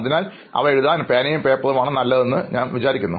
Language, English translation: Malayalam, So I think pen and paper is the best to write those things now